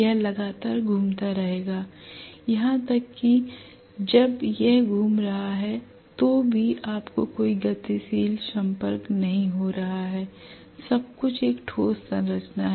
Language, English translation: Hindi, It will be continuously rotating even when it is rotating you are not having any moving contact everything is a solid structure